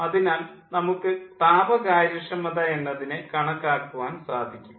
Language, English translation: Malayalam, so we can calculate the thermal efficiency